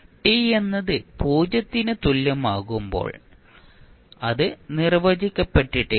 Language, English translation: Malayalam, At time t is equal to 0 it will be undefined